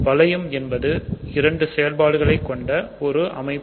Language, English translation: Tamil, So, a ring is something which has two operations